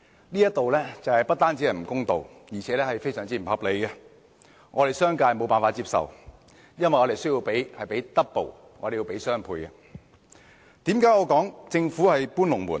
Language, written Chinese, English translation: Cantonese, 這種做法不單不公道，而且非常不合理，商界是無法接受的，因為我們需要支付雙倍款項。, This is not only unfair but also most unreasonable . The business sector finds this unacceptable because we would have to pay double the amount